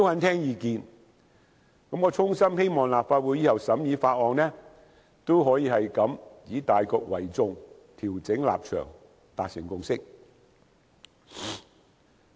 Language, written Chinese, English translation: Cantonese, 我衷心希望立法會日後審議其他法案時，也可以像今次般以大局為主，調整立場，達成共識。, I sincerely hope that when the Legislative Council deliberates bills in future Members can also be able to give full regard to the overall situation and adjust their views for the forging of consensus . Let me come back to the Bill